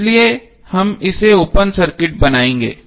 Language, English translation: Hindi, So we will simply make it open circuit